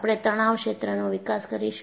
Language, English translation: Gujarati, We would develop the stress field